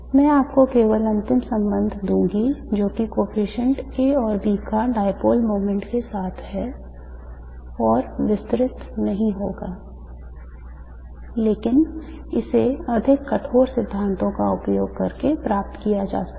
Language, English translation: Hindi, I will just give you the final relation that the coefficients A and B have with the dipole moment and will not elaborate but this can be derived using more rigorous theories